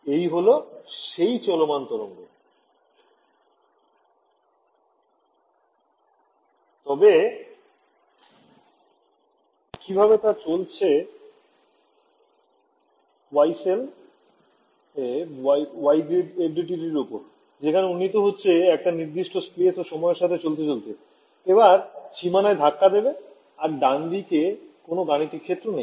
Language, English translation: Bengali, So, how is it traveling its traveling on the Yee cell on the Yee grid FDTD is updating every time I am updating moving the feels let us say a space and time, now hits this boundary and there is no computational domain to the right